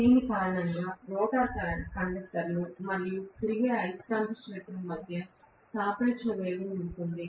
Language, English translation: Telugu, Because of which there will be a relative velocity between the rotor conductors and the revolving magnetic field speed